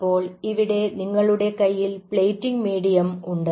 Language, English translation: Malayalam, here you have the plating medium